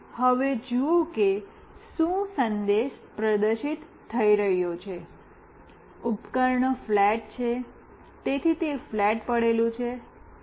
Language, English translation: Gujarati, And now see what message is getting displayed, the device is flat, so it is lying flat